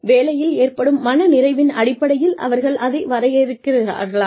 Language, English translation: Tamil, Do they define it, in terms of job satisfaction